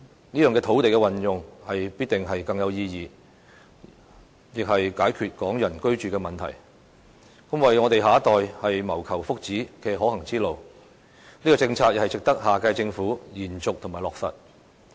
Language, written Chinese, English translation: Cantonese, 這樣的土地運用必定更有意義，亦可解決港人居住的問題，是為我們下一代謀求福祉的可行之路，這項政策亦值得下屆政府延續及落實。, The use of land this way is certainly more fruitful and is able to resolve the housing problem of Hong Kong people . This is a feasible way to foster the well - being of our next generation and it is worthwhile for the next Government to sustain and implement this policy